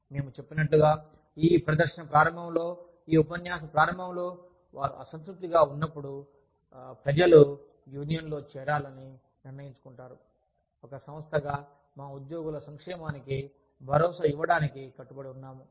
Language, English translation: Telugu, Like we said, in the beginning of this presentation, beginning of this lecture, that people decide, to join a union, when they are dissatisfied, as an organization, committed to ensuring the welfare of our employees